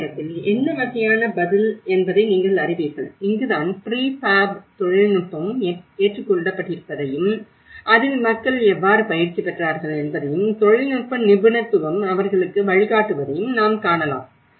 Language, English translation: Tamil, And at the same time, you know what is the kind of response and this is where we can see the prefab technology also have been adopted and how people have been trained in it and the technical expertise have been guiding them